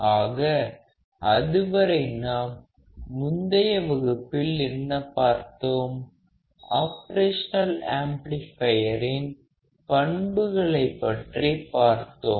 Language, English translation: Tamil, So, until then what we were learning in the previous lectures were the characteristics of an operational amplifier